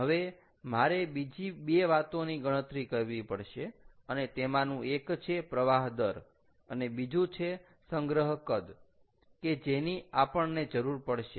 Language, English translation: Gujarati, now i have to calculate two more things, and those are: what is the flow rate and what is the storage volume that would be required